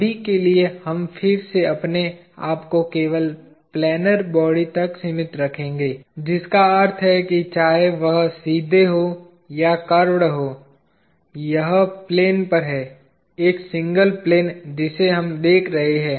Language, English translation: Hindi, For now, we will again limit ourselves to just planar bodies, which means whether it is straight of curved ,it is on the plane; one single plane that we are looking at